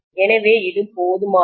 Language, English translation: Tamil, So it is good enough, right